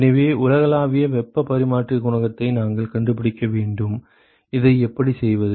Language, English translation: Tamil, So, we need to find you the universal heat transfer coefficient how do we do this